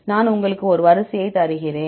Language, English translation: Tamil, I will give you a sequence ok